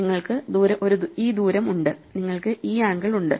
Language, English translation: Malayalam, So, you can keep this distance and you can keep this angle